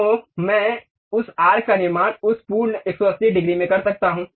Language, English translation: Hindi, So, I can construct that arc in that complete 180 degrees